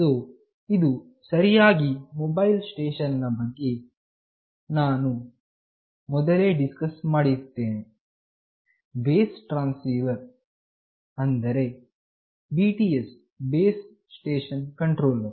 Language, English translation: Kannada, So, this is exactly what I have already discussed about Mobile Station, Base Transceiver Station that is the BTS, Base Station Controller